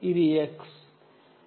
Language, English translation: Telugu, this is x